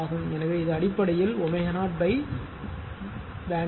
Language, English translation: Tamil, So, it is basically W 0 by BW bandwidth